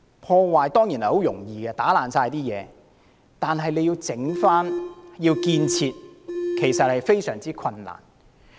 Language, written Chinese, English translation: Cantonese, 破壞當然容易，只需要把所有東西打破，但要修復和建設卻非常困難。, Destruction is always easy because it can simply be done by destroying everything but it will be very hard to restore and construct